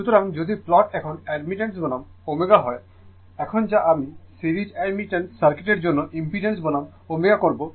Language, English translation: Bengali, So, if you plot now admittance versus omega same as your what you call now I will do impedance versus omega for series admittance circuit